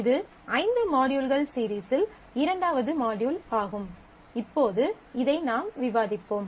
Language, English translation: Tamil, So, this is second in the series of 5 modules which we will discuss this